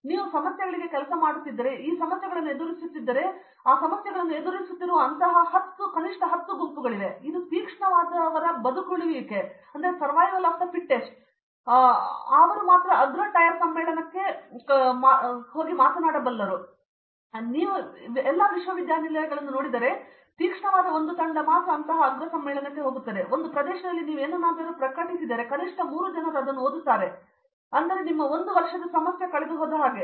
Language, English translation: Kannada, If you look at universities across, if you the problems if you are working on problems there are at least today 10 groups which are working on this same problem and this is survival of the fittest and they all send to the top tire conference and that the fittest one goes in and if you miss one dead line there will be three fellows at least who would have published in that area and your one year problem is gone